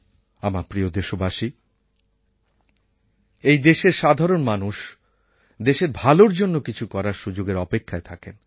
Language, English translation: Bengali, My dear countrymen, the common man of this country is always looking for a chance to do something for the country